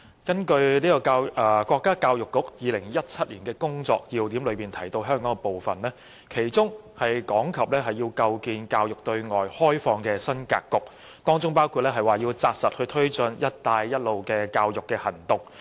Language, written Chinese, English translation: Cantonese, 根據國家教育部《2017年工作要點》提到香港的部分，其中講及要構建教育對外開放的新格局，當中包括扎實推進"一帶一路"的教育行動。, According to the section on Hong Kong in the Key Points of Work for 2017 of MoE a framework of opening up education to other countries has to be established and this will include steadily promoting the educational measures under the Belt and Road initiative